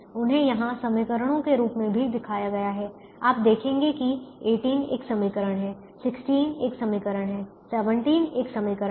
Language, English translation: Hindi, you will see, eighteen is a an equations, sixteen is an equation, seventeen is an equation